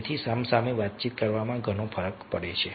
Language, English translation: Gujarati, so face to face interaction makes lots of difference